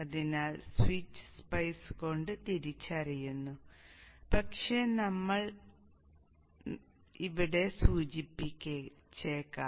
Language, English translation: Malayalam, So switch is also recognized by SPI, but let us indicate it